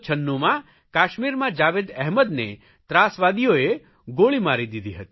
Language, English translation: Gujarati, In 1996, the terrorists had shot Jawed Ahmed in Kashmir